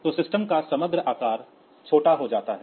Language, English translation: Hindi, So, overall size of the system becomes smaller